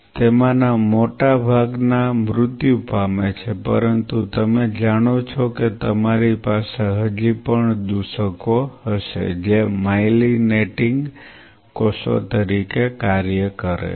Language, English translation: Gujarati, Which most of them die dies out, but you know you will still have contaminants which are functioned as myelinating cells